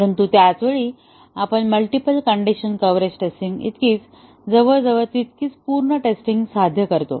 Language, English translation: Marathi, But, at the same time we achieve as much, almost as much thorough testing as the multiple condition coverage testing